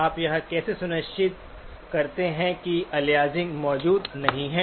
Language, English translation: Hindi, How do you ensure that aliasing is not present